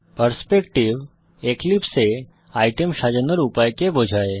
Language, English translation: Bengali, A perspective refers to the way items are arranged in Eclipse